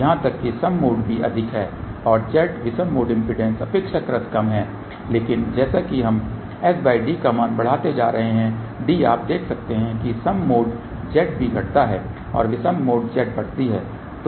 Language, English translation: Hindi, Even mode is higher and Z odd mode impedance is relatively lower , but as we go on increasing the value of s by d you can see that Z even mode decreases and Z odd mode increases